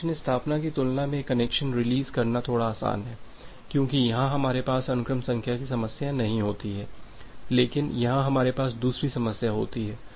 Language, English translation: Hindi, Connection release is little bit easier compared to connection establishment because we do not have the problem of sequence number here, but here we have a different problem